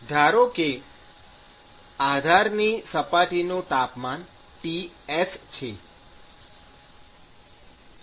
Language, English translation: Gujarati, So, supposing if the temperature of the base surface is Ts, okay